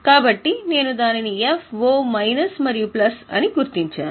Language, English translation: Telugu, So, I have marked it as F, minus and plus